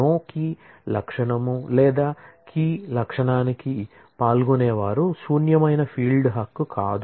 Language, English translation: Telugu, No key attribute or a participant to a key attribute could be a null able field right